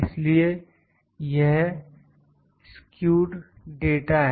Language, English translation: Hindi, So, this is skewed data